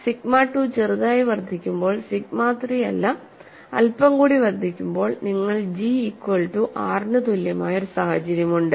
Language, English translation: Malayalam, When sigma 2 is slightly increased, not sigma 3 even slightly increased, then you have a situation G equal to R that is satisfied, but the current G is greater than the previous G